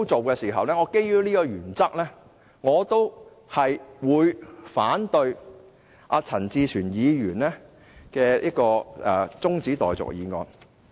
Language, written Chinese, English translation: Cantonese, 基於這個原則，我反對陳志全議員的中止待續議案。, With this principle in mind I oppose Mr CHAN Chi - chuens motion for adjournment